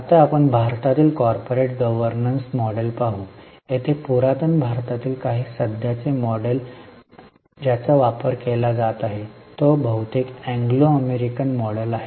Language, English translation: Marathi, Here by India, I mean ancient India because the current model which is being practiced is mostly Anglo US model